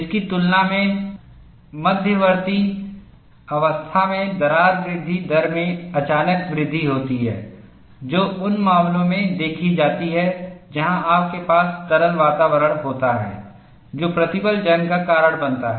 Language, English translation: Hindi, In comparison to this, there is a sudden increase in crack growth rate in the intermediate stage, which is seen in cases, where you have liquid environments, that causes stress corrosion